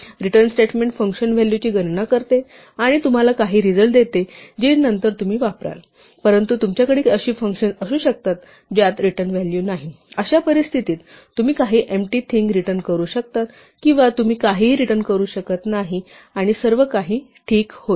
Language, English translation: Marathi, So, a return statement is useful if the function computes the value and gives you back some result which you will use later on, but you may have functions which do not have return value, in which case you can either return some empty thing or you can return nothing and everything will work fine